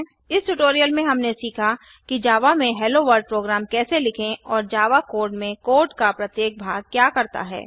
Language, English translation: Hindi, In this tutorial we have learnt, how to write a HelloWorld program in java and also what each part of code does in java code